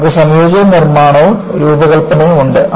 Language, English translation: Malayalam, You have integrated manufacturing and design